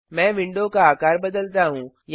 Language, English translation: Hindi, Let me resize the window